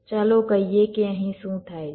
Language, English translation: Gujarati, let say what happens here